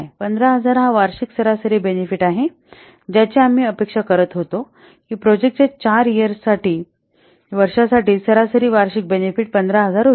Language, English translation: Marathi, We are expecting that the average annual benefit will be 1500 when for the four years life of the project